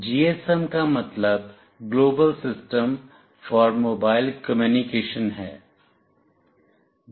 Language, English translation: Hindi, GSM stands for Global System for Mobile Communication